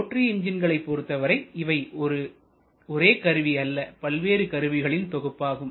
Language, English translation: Tamil, Whereas in case of a rotary engine it is not one rather it is a combination of multiple devices